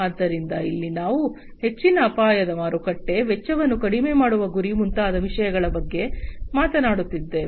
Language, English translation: Kannada, So, here we are talking about you know things such as high risk market, target for lowering cost, etc